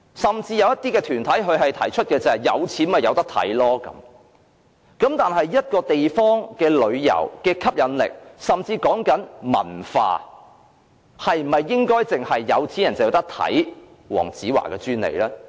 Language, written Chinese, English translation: Cantonese, 甚至有些團體提出，有錢的便可以看，但一個地方的旅遊吸引力，說的甚至是文化，是否應該只有有錢人才可享有觀看黃子華的專利呢？, Members of certain organization went so far as to say that the shows were for those who could afford a ticket . However if our city is to be attractive to tourists and become a cultural attraction is it reasonable that only the wealthy are entitled to enjoying Dayo WONGs shows?